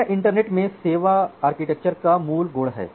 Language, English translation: Hindi, So, this is the basic quality of service architecture in the internet